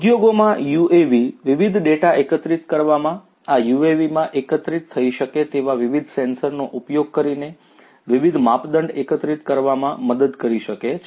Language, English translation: Gujarati, In the industries, UAVs can help gather different data, collect different measurements, using different sensors that could be integrated to these UAVs